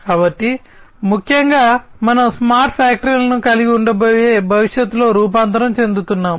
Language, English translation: Telugu, So, essentially we are transforming into the future, where we are going to have smart factories